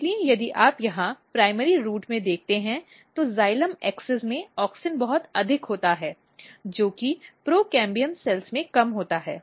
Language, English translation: Hindi, So, if you look here in the primary root what happens that, auxin is very high in the xylem axis with little in the procambium cells